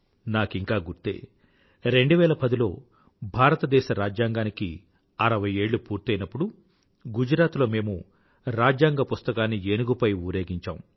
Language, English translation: Telugu, I still remember that in 2010 when 60 years of the adoption of the Constitution were being celebrated, we had taken out a procession by placing our Constitution atop an elephant